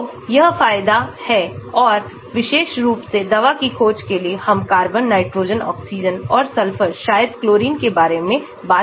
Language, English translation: Hindi, so that is the advantage and for especially for drug discovery, we are talking about carbon, nitrogen, oxygen and sulphur maybe chlorine